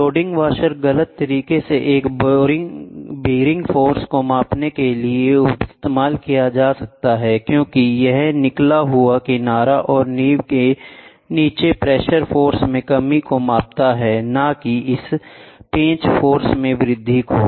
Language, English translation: Hindi, The load washer being incorrectly used to measure a bearing force, as it measures only the reduction in pressure force between the flange and the foundation not an increase in this screw force